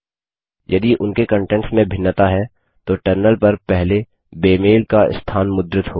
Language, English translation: Hindi, If there are differences in their contents then the location of the first mismatch will be printed on the terminal